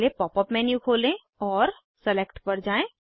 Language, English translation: Hindi, First open the pop up menu and go to Select